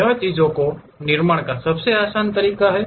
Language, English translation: Hindi, This is the easiest way of constructing the things